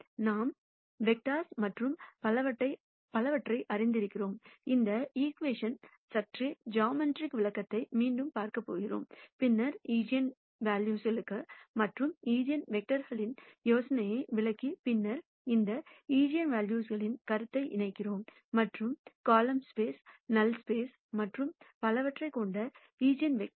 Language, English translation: Tamil, Now what we are going to do is, now that we know both vectors and so on, we are going to look at a slightly geometrical interpretation for this equation again and then explain the idea of eigenvalues and eigenvectors and then connect the notion of these eigenvalues and eigenvectors with the column space, null space and so on that we have seen before